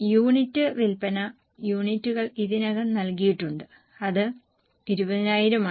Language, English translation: Malayalam, You need sale units are already given which is 20,000